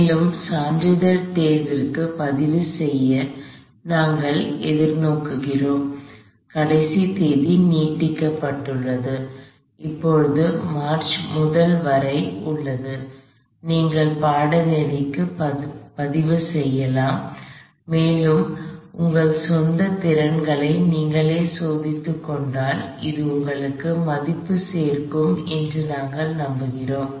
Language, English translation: Tamil, And we look forward to registering for the certification course, the last date has been extended it is now up to march first, you can register for the course and we believe it will add value to yourselves, if you test for yourself your own abilities in a proctored exam situation